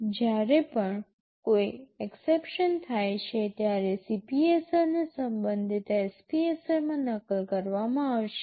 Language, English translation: Gujarati, Whenever any exception occurs, the CPSR will be copied into the corresponding SPSR